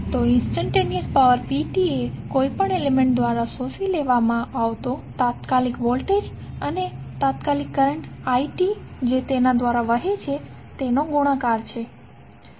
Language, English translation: Gujarati, So instantaneous power P absorbed by any element is the product of instantaneous voltage V and the instantaneous current I, which is flowing through it